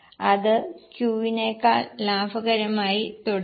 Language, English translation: Malayalam, But still P remains more profitable than Q